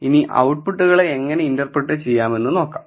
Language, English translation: Malayalam, So, let us see how to interpret the output